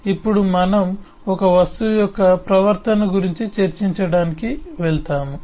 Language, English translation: Telugu, now we move on to discuss the behavior of an object